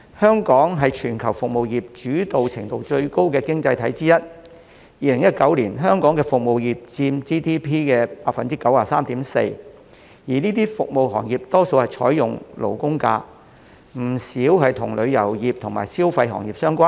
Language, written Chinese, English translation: Cantonese, 香港是全球服務業主導程度最高的經濟體之一，在2019年，香港服務業佔 GDP 的 93.4%， 而這些服務業大多採用"勞工假"，當中不少與旅遊業和消費行業相關。, Hong Kong is one of the most services - oriented economies in the world with the services sector accounting for 93.4 % of GDP in 2019 . Most of the employees in the service industry are entitled to labour holidays and many of them are engaging in the consumption and tourism related sectors